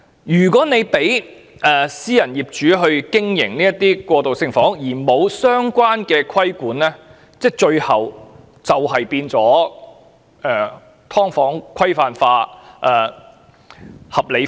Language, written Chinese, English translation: Cantonese, 如果政府容許私人業主經營過渡性房屋，但卻沒有實施相關規管，最終只會演變成"劏房"規範化或合理化。, If the Government allows private property owners to operate transitional housing without the implementation of related controls it will eventually evolve into endorsement or rationalization of subdivided units